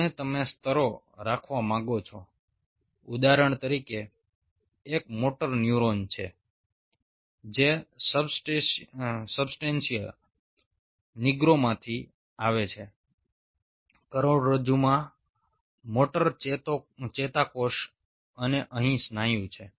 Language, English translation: Gujarati, say, for example, a motor neuron coming from substantia nigra, a motor neuron in the spinal cord and here is the muscle